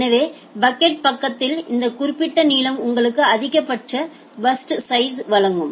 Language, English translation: Tamil, So, at the packet side this particular length will give you the maximum burst sizes